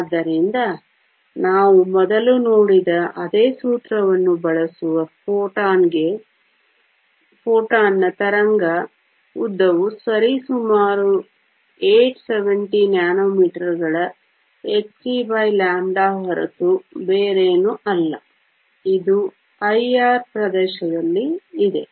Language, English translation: Kannada, So, the wave length of the photon using the same formula that we saw before is nothing but h c over E g which is approximately 870 nanometers, this lies in the IR region